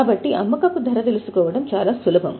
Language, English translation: Telugu, So, it is very easy to know the selling price